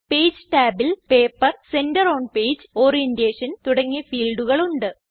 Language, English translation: Malayalam, Page tab contains fields like Paper, Center on Page and Orientation